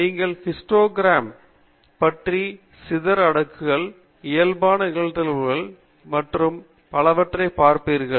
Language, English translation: Tamil, You will be looking at Histograms, Box Charts, Scatter Plots, Normal Probability Plots and so on